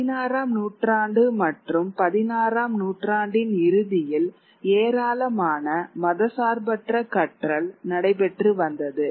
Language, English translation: Tamil, Whereas by the 16th century, the end of the 16th century there's a lot of secular learning that was taking place